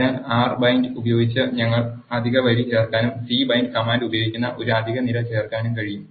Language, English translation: Malayalam, So, we can add extra row using the command r bind and to add an extra column we use the command c bind